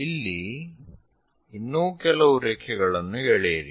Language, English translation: Kannada, Draw few more lines